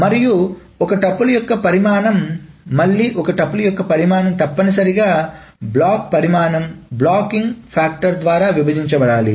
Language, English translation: Telugu, And the size of a tuple one, again the size of a tuple is essentially the block size by the divided by the blocking factor